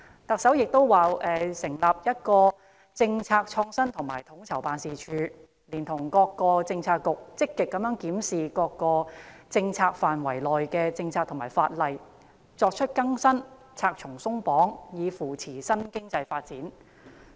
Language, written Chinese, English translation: Cantonese, 特首又表示，"會要求新成立的'政策創新與統籌辦事處'，連同各政策局積極檢視各政策範疇內的政策和法例，作出更新，'拆牆鬆綁'，以扶助新經濟發展"。, The Chief Executive also stated that she will ask the Policy Innovation and Co - ordination Unit to be established to work with all bureaux to proactively review the policies and legislation within their policy purview to bring them up to date and remove red tape in order to foster the development of a new economy